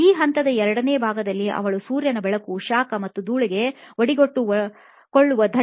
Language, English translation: Kannada, The second step during the phase is she rides in traffic exposed to sunlight, heat and dust